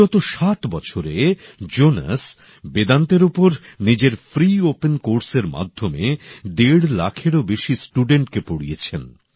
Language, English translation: Bengali, During the last seven years, through his free open courses on Vedanta, Jonas has taught over a lakh & a half students